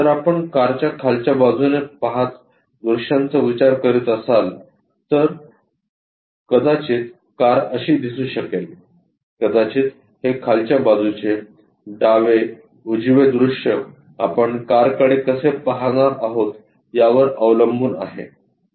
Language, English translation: Marathi, If we are constructing views by looking from bottom side perhaps the car might looks like this perhaps this bottom left right depends on how we are going to keep the car